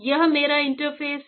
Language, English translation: Hindi, So, this is my interface